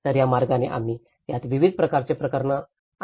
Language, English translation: Marathi, So in that way, we brought a variety of cases in it